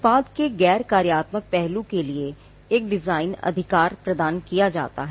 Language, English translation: Hindi, A design right is granted to a non functional aspect of the product